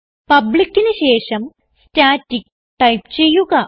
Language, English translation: Malayalam, So after public type static